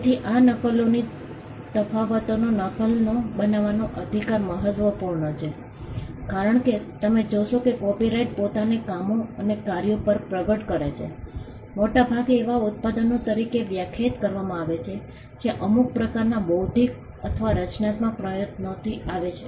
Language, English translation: Gujarati, So, the right to make copies this distinction is important because, you will see that copyright manifest itself on works and works have been largely defined as products that come from some kind of an intellectual or a creative effort